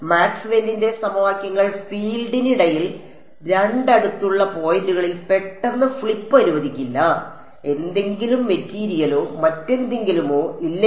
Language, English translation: Malayalam, Maxwell’s equations will not allow a sudden flip between the field at 2 adjacent points unless there was some material or something like that